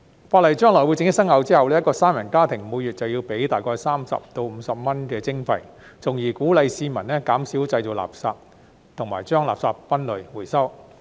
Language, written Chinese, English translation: Cantonese, 法例將來正式生效後，一個三人家庭每月便要繳付大概30元至50元的徵費，從而鼓勵市民減少製造垃圾，以及將垃圾分類和回收。, When the legislation comes into effect in the future a three - member household will be required to pay a monthly charge of about 30 to 50 which aims at encouraging the public to reduce separate and recycle waste